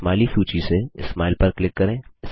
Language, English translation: Hindi, From the Smiley list, click Smile